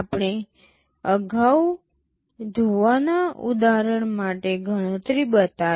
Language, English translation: Gujarati, Earlier we showed the calculation for the washing example